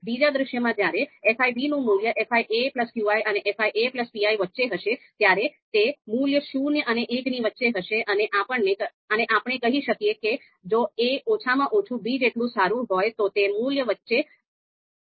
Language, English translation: Gujarati, In the second scenario when the value of fi b is lying between fi a plus qi and fi a plus pi, then the value is going to be zero and one and then you know know you know so we can make that you know if a is at least as good as you know so that so the value is going to be lie in between